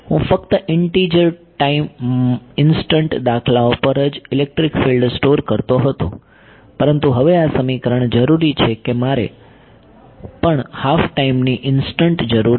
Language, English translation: Gujarati, I was storing electric field only at integer time instance, but now this equation is requiring that I also needed at half a time instant